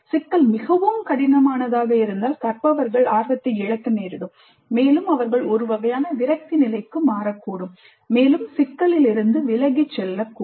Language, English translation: Tamil, The problem is too complex the learners may lose interest and they may become in a kind of disappointed mode turn away from the problem